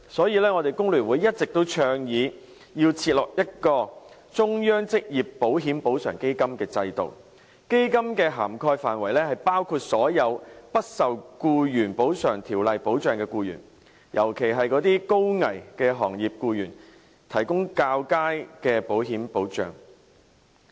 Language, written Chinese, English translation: Cantonese, 因此，工聯會一直倡議設立"中央職業保險補償基金"制度，基金的涵蓋範圍包括所有不受《僱員補償條例》保障的僱員，尤其為一些高危行業的僱員提供較佳的保險保障。, If they encounter accidents or contract occupational diseases in their work they will not receive any protection . Therefore FTU has been advocating the setting up of a central occupational insurance compensation fund all along and it should cover all employees who are not protected by the Employees Compensation Ordinance . In particular better insurance protection should be provided to employees in certain high - risk industries